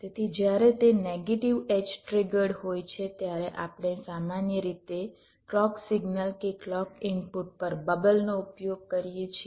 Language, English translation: Gujarati, so when it is negative edge trigged, we usually use a bubble at the clock signal, clock input to indicate this